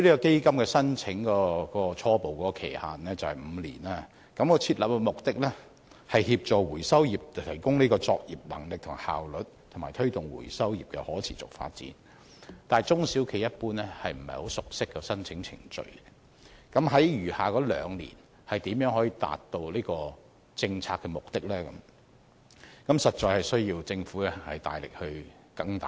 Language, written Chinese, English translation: Cantonese, 基金的初步申請期限為5年，而設立目的是協助回收業提高作業能力和效率，以及推動回收業的可持續發展，但中小企一般不熟悉申請程序，那麼在餘下兩年如何能夠達到此政策目的？政府實在需要更大力支援。, The fund which is open for applications initially for five years seeks to assist the recycling industry in upgrading its operational capabilities and efficiency for sustainable development . As SMEs are generally not familiar with the application procedure the Government must provide greater support for achieving this policy objective in the remaining two years